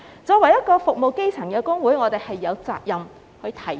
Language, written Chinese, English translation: Cantonese, 作為服務基層的工會，我們有責任提出。, Being a union serving grass roots we have the responsibility to voice it out